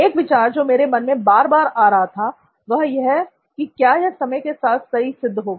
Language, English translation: Hindi, One thought kept coming back to me saying, will this stand the test of time